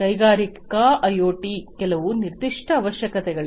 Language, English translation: Kannada, For industrial IoT there are certain specific requirements